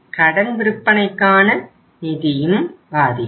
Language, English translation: Tamil, Credit sales uh funding will also be affected